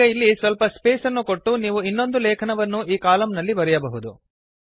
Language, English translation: Kannada, Now after leaving out some spaces you can write another article into the column